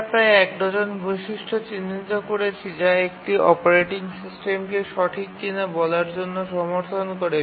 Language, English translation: Bengali, We identified about a dozen features which an operating system needs to support in order to be called as a real time operating system